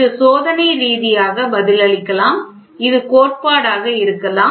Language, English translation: Tamil, This can be experimentally response, this can be theory